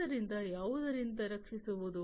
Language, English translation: Kannada, So, protecting against what